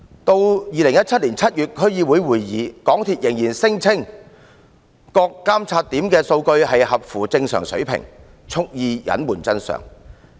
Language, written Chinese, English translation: Cantonese, 在2017年7月的區議會會議上，港鐵公司仍然聲稱各監測點的數據符合正常水平，蓄意隱瞞真相。, At a District Council DC meeting held in July 2017 MTRCL deliberately concealed the facts by insisting that the data collected at the monitoring checkpoints showed no abnormalities